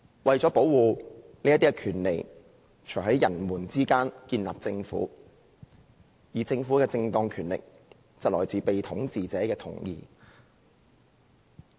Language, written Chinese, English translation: Cantonese, 為了保護這些權利，人們才在他們之間建立政府，而政府的正當權力，則來自被統治者的同意。, To secure these rights governments are instituted among men with their just powers derived from the consent of the governed . All men are born equal